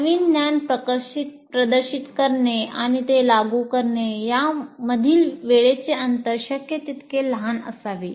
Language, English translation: Marathi, As we said, the time gap between demonstrating new knowledge and applying that should be as small as possible